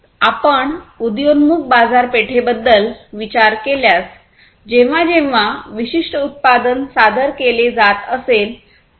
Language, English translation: Marathi, And, so, if you think about the emerging markets whenever, you know, whenever a particular product is being introduced, right